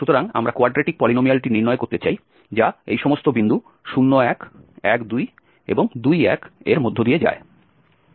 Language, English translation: Bengali, So, we want to derive the quadratic polynomial, which passes through all these points 0, 1, 1, 2, and 2, 1